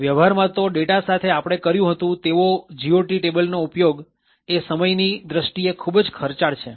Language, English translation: Gujarati, In practice having a GOT table just like how we have done with data is quite time consuming